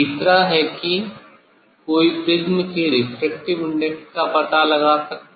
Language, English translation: Hindi, Third is one can find out the refractive index of the material of this prism